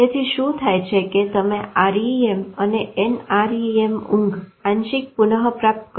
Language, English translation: Gujarati, So what happens is that there is a partial recovery of REM and NREM as you recover sleep